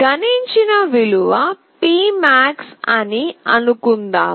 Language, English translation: Telugu, Suppose, the value which is printed is P max